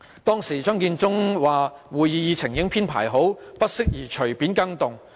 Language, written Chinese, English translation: Cantonese, 當時，張建宗說會議議程已經編排好，不適宜隨便改動。, Back then Matthew CHEUNG said that the order of business at the meeting was set and it was not suitable to make changes